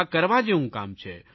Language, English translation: Gujarati, This is a task worth doing